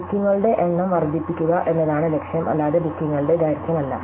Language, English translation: Malayalam, So, the goal is to maximize the number of bookings, not the length of the bookings, but the number of bookings